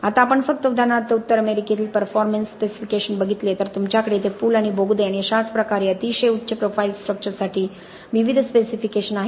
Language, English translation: Marathi, Now just an examples of performance specifications from North America, so you have here several different specifications for bridges and tunnels and so on very high profile structure